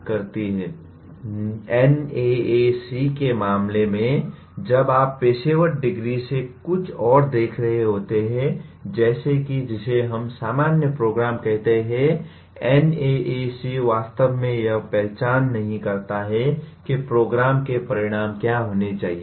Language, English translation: Hindi, In case of NAAC, when you are looking at other than professional degrees, like what we call as general programs, NAAC really does not identify what should be the program outcomes